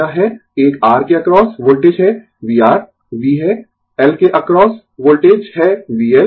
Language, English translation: Hindi, So, it is voltage across a R is V R, voltage across L is V L, and voltage across this C